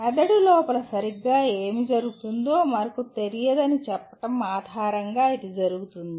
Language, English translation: Telugu, It is based on saying that we do not know what exactly is happening inside the brain